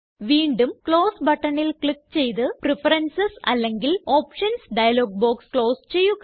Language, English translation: Malayalam, Again click on the Close button to close the Preferences or Options dialog box